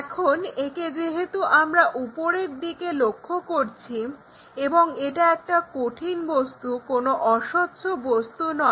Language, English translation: Bengali, Now, this one because we are looking from top and it is a solid object, it is not straightforwardly transparent thing